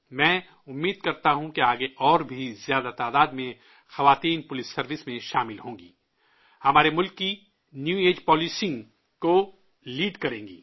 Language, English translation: Urdu, I hope that more women will join the police service in future, lead the New Age Policing of our country